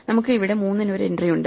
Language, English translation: Malayalam, So, we have an entry here for 3